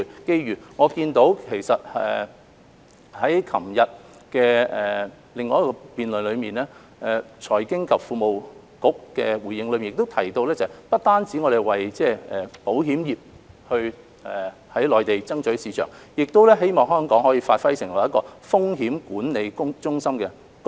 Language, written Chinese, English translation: Cantonese, 就我所見，在昨天的另一場辯論中，財經事務及庫務局的回應不單提到要為保險業在內地爭取市場，亦希望香港可發揮風險管理中心的功能。, I noticed that in the reply given by the Financial Services and the Treasury Bureau in another debate yesterday he stated that while it was important to capture the Mainland market for the insurance industry it also hoped that Hong Kong could perform the function of a risk management centre